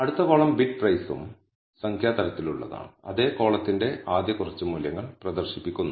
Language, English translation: Malayalam, The next column Bid Price is also of the type numeric and the first few values of the same column are being displayed